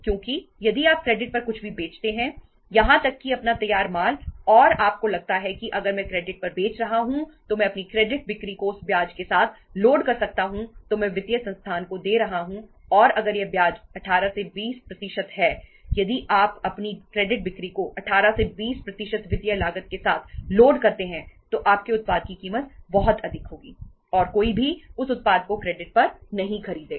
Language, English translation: Hindi, Because if you sell anything on even your finished goods if you sell on credit and you feel that if I am selling on credit I can load my credit sales with the interest which I am paying to the financial institution and if that interest is 18 to 20 percent if you load your credit sales with 18 to 20 percent of the financial cost your price of that product will be very high and nobody will buy that product even on credit